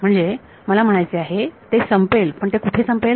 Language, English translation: Marathi, So, I mean it ends where it ends where